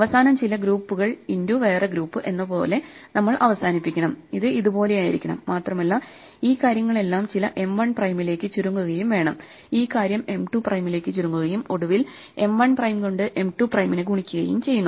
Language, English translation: Malayalam, At the end, we must end with the multiplication which involves some group multiplied by some group it must look like this, and must have this whole thing collapsing to some M 1 prime, and this whole thing collapsing to M 2 prime and finally multiplying M 1 prime by M 2 prime